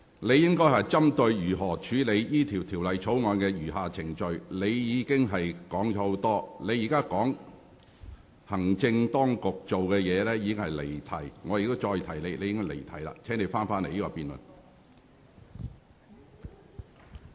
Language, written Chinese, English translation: Cantonese, 你應針對如何處理《條例草案》的餘下程序發言，而你卻提及眾多其他事宜，現在談論行政當局的作為更是離題。, Your speech should address the question of how the remaining proceedings of the Bill should be dealt with . You have mentioned many other matters and your discussion on the executives acts is even a digression from the subject